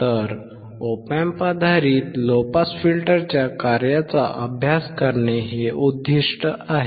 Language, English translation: Marathi, So, the aim is to study the working of an Op Amp based low pass filter